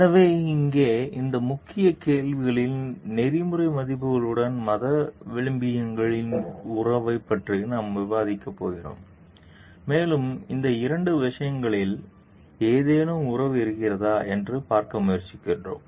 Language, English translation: Tamil, So, here in this key question we are going to discuss about the relationship of religious values with the ethical values, and try to see if at all there is any relationship between these two things